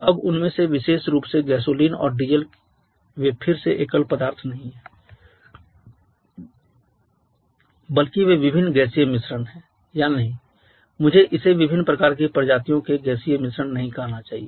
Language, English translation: Hindi, Now each of them particularly gasoline and diesel they are again not single substance they are rather a mixture of different gaseous or no I should not say gaseous mixture of different kind of species